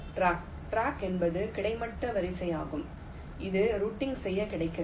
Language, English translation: Tamil, track is a horizontal row that is available for routing